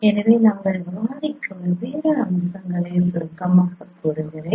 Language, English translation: Tamil, So let me summarize its different features that we discussed